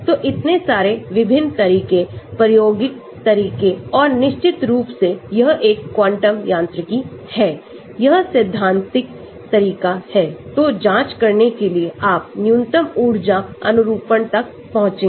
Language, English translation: Hindi, So, so many different methods experimental methods and of course this is a quantum mechanics, this is a theoretical method to cross check whether you have reached the minimum energy conformation